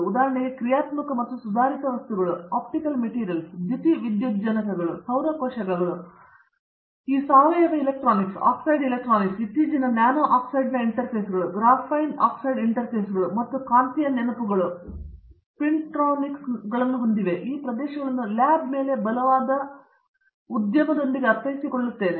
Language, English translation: Kannada, For example, this functional and advanced materials, comprising, optical materials, photovoltaics, solar cells and you have this organic electronics, oxide electronics, now the recent nano oxide interfaces, graphene oxide interfaces and you have magnetic memories and spintronics and I think these areas have strong over lab with industry